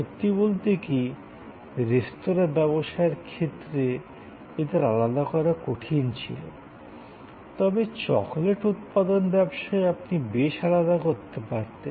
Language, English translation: Bengali, Even in a restaurant business, it was difficult to segregate, but in a business manufacturing chocolate, you could quite separate